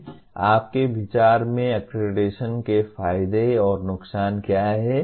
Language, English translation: Hindi, What in your view are the advantages and disadvantages of accreditation